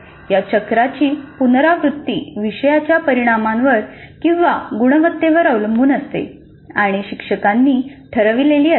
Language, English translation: Marathi, The number of times this cycle is repeated is totally dependent on the course outcome or the competency and is decided by the instructor